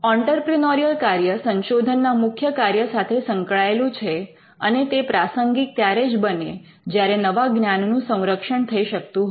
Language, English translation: Gujarati, The entrepreneurial function is linked to the primary function of research and the entrepreneurial function makes sense when the new knowledge can be protected